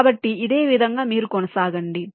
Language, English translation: Telugu, so in a similar way you proceed